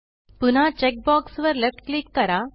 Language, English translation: Marathi, Left click the check box again